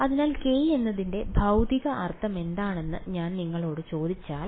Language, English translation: Malayalam, So, if I ask you what is the physical meaning of k